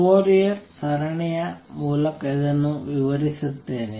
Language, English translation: Kannada, Let me explain this through Fourier series